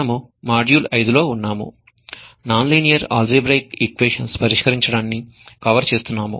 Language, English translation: Telugu, We are in module 5 covering methods to solve non linear algebraic equations